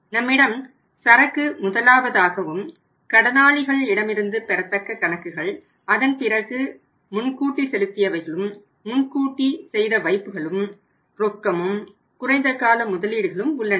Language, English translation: Tamil, We have Inventory of the top which we talked about at length that we have the accounts receivables then we are sundry debtors then we have advance payments have advanced deposits so and then we have cash and some short term investments also right